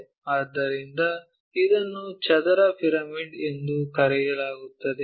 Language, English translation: Kannada, So, it is called square pyramid